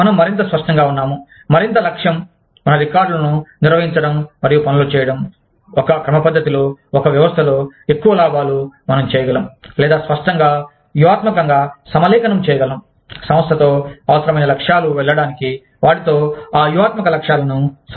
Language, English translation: Telugu, More clear we are, the more objective, we are, in maintaining our records, and doing things, in a systematic, in a system like manner, the more profits, we can, or, the clearer, it becomes, to align the strategic objectives with the organization, with what is required to go into, achieving those strategic objectives